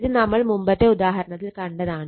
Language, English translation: Malayalam, This already we have shown it previous example